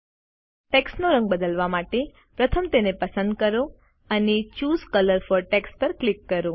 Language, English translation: Gujarati, To change the colour of the text, first select it and click the Choose colour for text icon